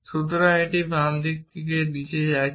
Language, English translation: Bengali, So, it would be going down the left side first